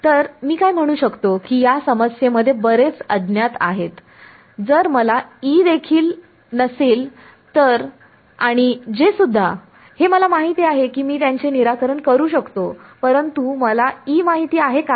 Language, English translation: Marathi, So, what can we I mean there are too many unknowns in this problem if I do not know the if I do not know E also and J this know I can solve it, but do I know E